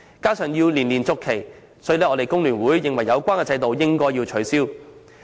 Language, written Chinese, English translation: Cantonese, 加上就業證須年年續期，故此工聯會認為有關制度應該取消。, In addition an Employment Certificate has to be renewed every year and FTU is therefore of the view that the system should be abolished